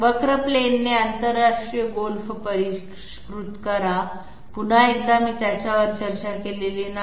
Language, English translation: Marathi, Refine by curve plane International golf, once again I have not discussed it